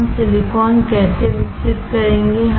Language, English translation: Hindi, How will we grow the silicon